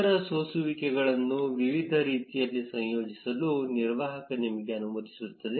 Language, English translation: Kannada, The operator allows you to combine other filters in different ways